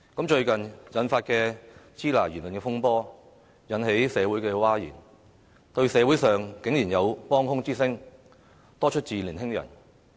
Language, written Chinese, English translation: Cantonese, 最近發生的"支那"言論風波，引起社會譁然，但社會上竟然有幫腔之聲，多出自年輕人。, While the recent controversy over the expression of Shina has triggered a public outcry there are surprisingly consenting voices in the community mostly from young people